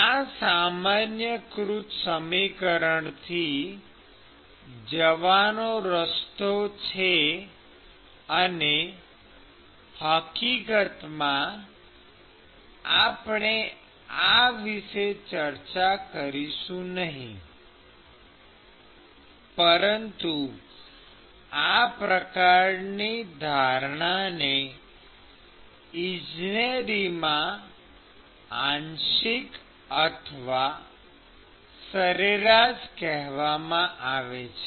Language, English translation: Gujarati, So, this is the way to go from the generalized equation and in fact, we will not discuss this, but this sort of assumption is called lumping lumping or averaging in engineering literature